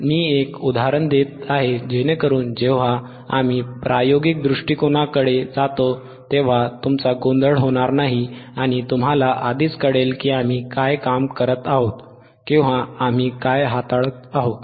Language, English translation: Marathi, So so, that when we go to the experimental point of view, you will not get confused and you will already know that what we are working on